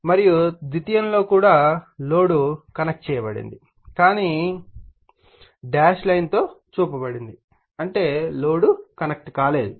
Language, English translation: Telugu, And in the secondary load is also connected, but shown in dash line; that means, load is not connected